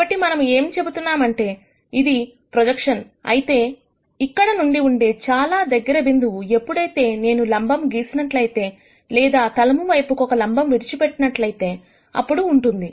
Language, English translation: Telugu, So, what we are going to say is that, if this is the projection, then the closest point from here would be when I draw a perpendicular or drop a perpendicular onto the plane